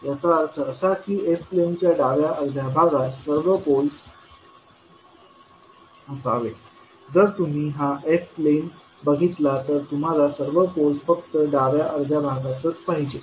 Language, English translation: Marathi, That means that all poles must lie in the left half of the s plane if you see the s plane the poles must lie in the left half only